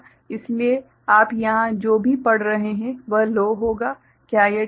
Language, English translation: Hindi, So, whatever you are reading here will be low, is it alright